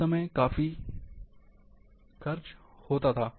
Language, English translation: Hindi, At that time, time used to be spending here